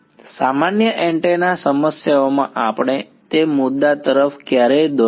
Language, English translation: Gujarati, In usual antenna problems all we never run into that issue